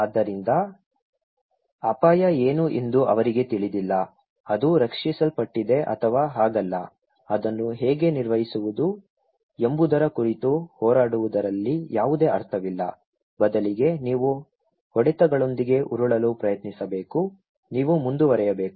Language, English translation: Kannada, So, they don’t know what is the risk okay, it is protected or not so, there is no point in fighting over how to manage it instead you should just try to roll with the punches so, you should go on